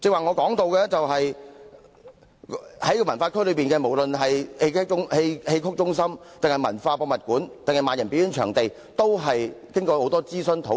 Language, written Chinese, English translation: Cantonese, 我剛才提到，西九文化區內，不論是戲曲中心、M+ 博物館或萬人表演場地，落實前均經過多番諮詢及討論。, As I said earlier proposals of building the Xiqu Centre M and a performance venue with a seating capacity of 10 000 were finalized after various consultations and discussions